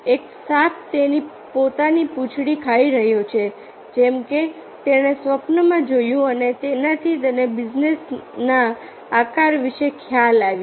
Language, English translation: Gujarati, a snake is eating its own tail, like that he saw in the dream and that gave him the idea about the shape of benzene